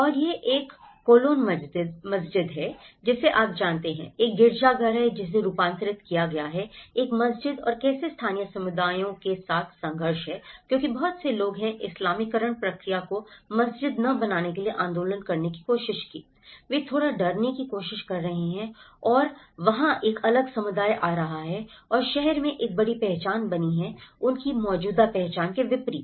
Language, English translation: Hindi, And this is also a cologne mosque you know, there is a cathedral which has been converted as a mosque and how there is a conflict with the local communities because many people have tried to agitate not to get a mosque the Islamization process, they are trying to little afraid of that there is a different community coming and there is a big identities built up in the city in contrast with their existing identities